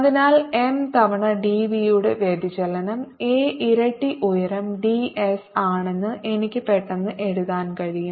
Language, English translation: Malayalam, so i can immediately write that divergence of m times d v is a times its height